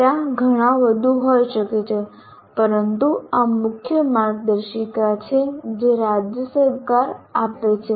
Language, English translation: Gujarati, There may be many more, but these are the main guidelines that the state government gives